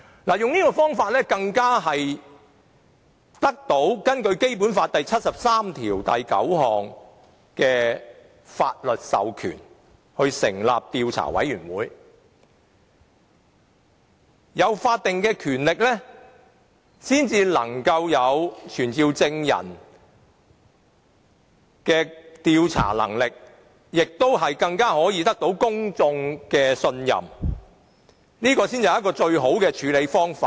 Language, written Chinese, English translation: Cantonese, 這做法更是獲得《基本法》第七十三條第九項的法律授權成立調查委員會，因為要有法定權力才有傳召證人的調查能力，並獲公眾信任，這才是最好的處理方法。, What is more given that the investigation committee is formed pursuant to Article 739 of the Basic Law it is therefore provided with the power to summon witnesses and hence can win the confidence of the public . This is the best way to deal with the matter